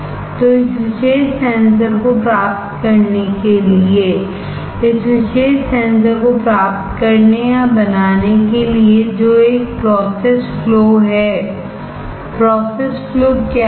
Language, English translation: Hindi, So, to obtain this particular sensor; to obtain or to fabricate this particular sensor what is a process flow; what are the process flows